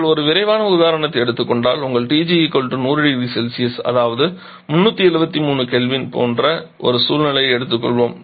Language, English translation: Tamil, If we take a quick example, let us take a situation where your TG = 100 degree Celsius which is something like which is quite practical value and this is 373 Kelvin